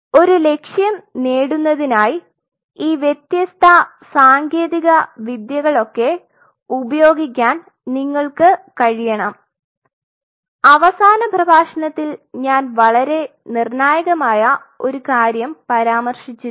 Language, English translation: Malayalam, You should be able to use these different techniques to achieve the goal and here I must mention you something very critical in the last lecture